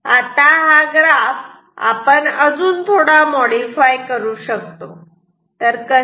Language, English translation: Marathi, Now we will modify these graph further how